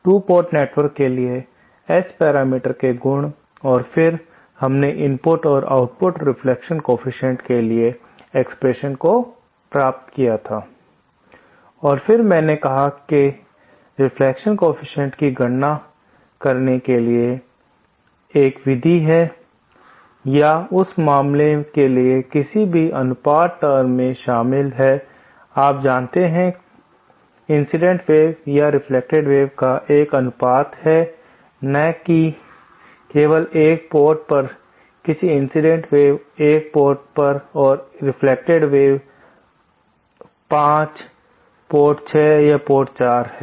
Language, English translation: Hindi, So, in the previous module, we had discussed about the properties of S parameters of 2 ports, properties of the S parameters for 2 port network and then we have derived the expression for the input and output reflection coefficients and then I said that there is a method to make this computation of reflection coefficients or for that matter, any ratio term that involves, you know, there is a ratio of either the incident wave or the reflected wave, not just at one port but say the incident wave is at one port and reflected wave is that port 5 or port 6, port 4